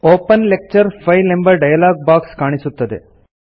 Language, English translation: Kannada, The Open Lecture File dialogue box appears